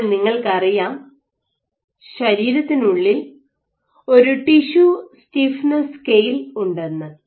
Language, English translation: Malayalam, Now you know that within the body you have this intact tissue stiffness scale right